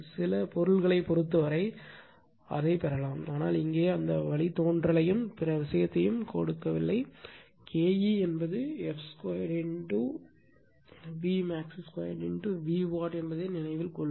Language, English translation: Tamil, For some material, it can be derived, but here this is your what to call we are not giving that derivation and other thing, just you keep it in your mind that K e is the f square B max square into V watt